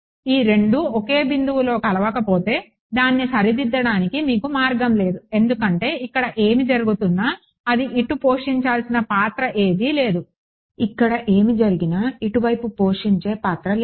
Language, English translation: Telugu, If these 2 did not meet at the same point, there is no way for you to fix it because whatever is happening here has no role to play over here, whatever is happening here as no rule to play over here